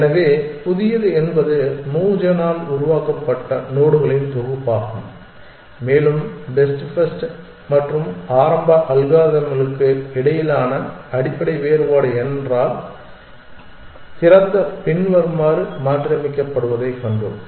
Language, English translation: Tamil, So, let us say new is a set of nodes that is generated by Mogen and the basic difference between best first and early algorithm if we saw was that open is modified as follows